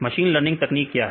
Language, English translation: Hindi, What is a machine learning technique